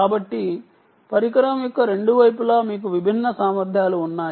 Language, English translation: Telugu, so you have different capabilities for the on both sides of the device